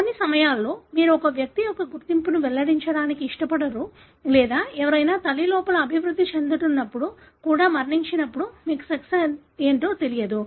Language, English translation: Telugu, At times you don’t want to reveal the identity of an individual or, when, someone passed away even when they were developing in the, inside mother, so you don’t know the sex